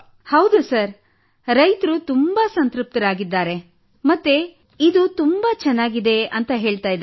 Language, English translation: Kannada, Yes Sir, the farmers feel very satisfied… they are saying that they are feeling very good